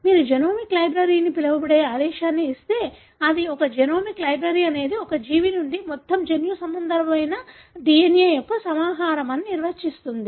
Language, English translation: Telugu, So, if you give such a command called genomic library, it would define it as, “a genomic library is a collection of total genomic DNA from a single organism”